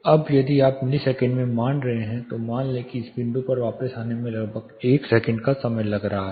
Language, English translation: Hindi, Say now if you are considering this in milliseconds say imagine it is taking about 1 second to come back to this point